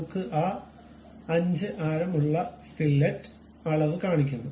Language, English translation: Malayalam, It shows the dimension also with 5 radius we have that fillet